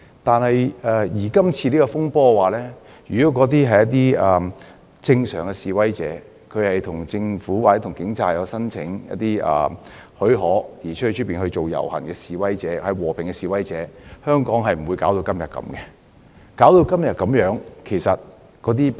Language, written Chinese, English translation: Cantonese, 但是，在這次風波中的示威如果是正常示威，即有向政府或警務處申請許可後再舉辦遊行的示威者、和平的示威者，香港便不會搞成如此田地，也不會造成今天的局面。, However if the demonstrations in this turmoil are normal demonstrations by that I mean the protesters have applied for prior approval from the Government or the Police before the protests and that they are peaceful Hong Kong would not be like this today . They are not ordinary protesters . Many of them use violence to damage transport facilities shops and the airport